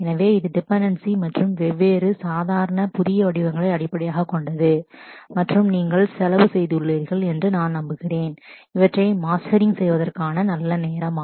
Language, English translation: Tamil, So, this is based on dependency and different normal forms and I am sure you have spent a good time on mastering these